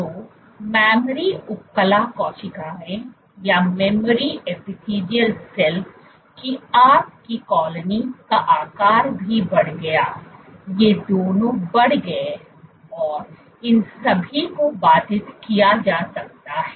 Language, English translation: Hindi, So, your colony size of the memory epithelial cells also increased, both these increased and all of these could be inhibited